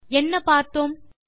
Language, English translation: Tamil, What do you notice#160